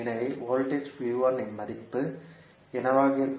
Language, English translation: Tamil, So, what will be the value of voltage V 1